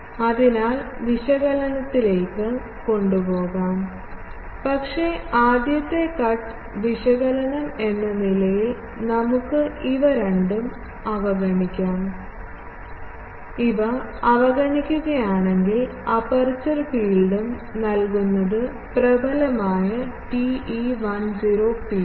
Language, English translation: Malayalam, So, that can be taken into the analysis, but as a very, first cut analysis we can neglect both of these, if we neglect them then we can say that the aperture field is also given by the dominant TE 10 field